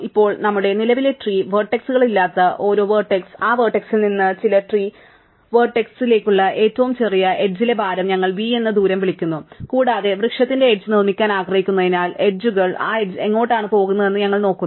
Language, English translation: Malayalam, Now, for each vertex which is not in our current set of tree vertices, we maintain the smallest edge weight from that vertex to some tree vertex so we called that distance of v and also because we want to build up the tree the set of edges, we remember where that edge goes to